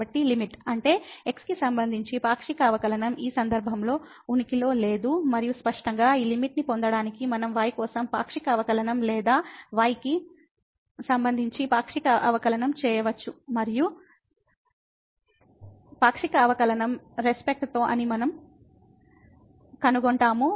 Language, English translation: Telugu, So, the limit; that means, the partial derivative with respect to does not exist in this case and obviously, the similar calculation we can do for or the partial derivative with respect to to get this limit and we will find that that the partial derivative with respect to also does not exist